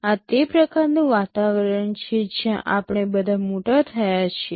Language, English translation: Gujarati, This is the kind of environment where we have all grown up